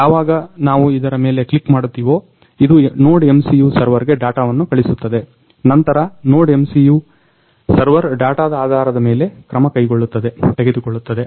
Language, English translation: Kannada, So, when we click on this one, it will send the data to a NodeMCU server, then NodeMCU server will take the action based on this data